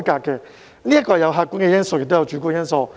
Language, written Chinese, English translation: Cantonese, 這有客觀因素，亦有主觀因素。, There are both subjective and objective factors